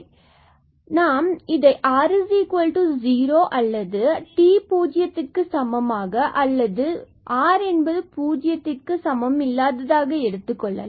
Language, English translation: Tamil, So, let us assume that either r is 0 or t is sorry, r is not equal to 0 or t is not equal to 0